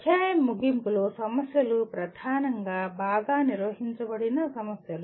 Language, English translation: Telugu, End of the chapter problems are dominantly well defined problems